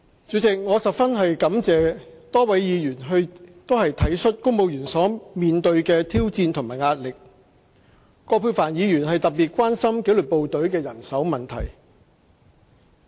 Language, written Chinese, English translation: Cantonese, 主席，我十分感謝多位議員體恤公務員所面對的挑戰和壓力，葛珮帆議員更特別關心紀律部隊的人手問題。, President I really appreciate Members for being sympathetic to the challenges and pressures that civil servants have to face . Dr Elizabeth QUAT was especially concerned about the manpower issue of the disciplined forces